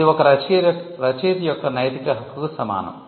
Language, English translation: Telugu, So, this is similar to the moral right of an author